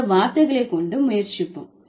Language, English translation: Tamil, Let's try with these words